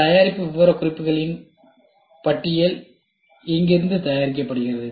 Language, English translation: Tamil, The list of product specification is prepared from here which guides the product development process